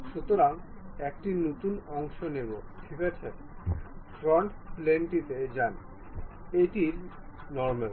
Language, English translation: Bengali, So, a new one, part ok, go to front plane, normal to it